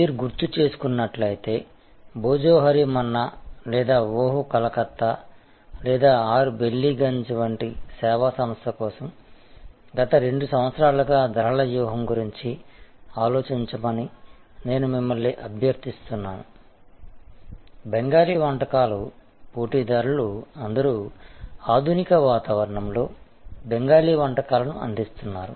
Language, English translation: Telugu, And as you recall I had requested you to think about the pricing strategy for the last next 2 years for a service organization like Bhojohori Manna or Oh Calcutta or 6 Ballygunge place, there all players in the Bengali Cuisine offering Bengali Cuisine in modern ambience